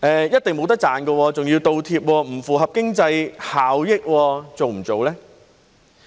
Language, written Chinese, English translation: Cantonese, 一定是沒錢賺的，還要"倒貼"，不符合經濟效益，做不做呢？, It is certain that no profit can be made and worse still extra money has to be paid for it which is not cost - effective . Do we still do it or not?